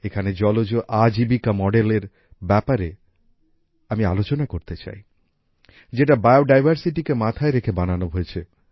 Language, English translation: Bengali, Here I would like to discuss the 'Jalaj Ajeevika Model', which has been prepared keeping Biodiversity in mind